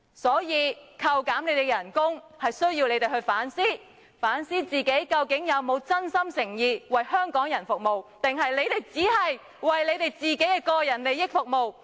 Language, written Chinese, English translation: Cantonese, 所以，扣減你們的薪酬是希望你們反思，究竟自己有否真心誠意為香港人服務，還是你們只是為你們的個人利益服務？, Hence through deducting your salary we hope that you would reflect upon whether you have served the people of Hong Kong wholeheartedly or you just serve for personal interests?